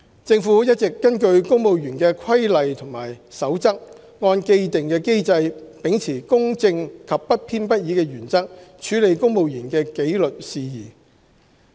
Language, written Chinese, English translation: Cantonese, 政府一直根據公務員的規例和守則，按既定機制，秉持公正及不偏不倚的原則處理公務員的紀律事宜。, The Government has all along been handling civil service disciplinary matters in accordance with rules and regulations of the civil service under the established mechanism with due regard to the principle of fairness and impartiality